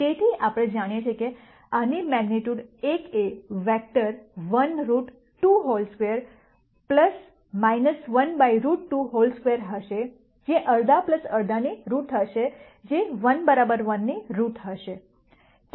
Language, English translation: Gujarati, So, we know that the magnitude of this vector will be 1 by root 2 whole square plus minus 1 by root 2 whole square root which will be root of half plus half which will be root of 1 equals 1